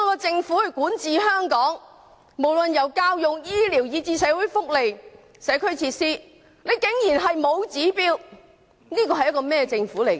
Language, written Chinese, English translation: Cantonese, 政府管治香港，卻無論是教育、醫療以至社會福利和社區設施均完全沒有標準，這是個怎樣的政府呢？, Under the governance of the Government Hong Kong is not up to standard in terms of education health care as well as social welfare and community facilities . What kind of government is this?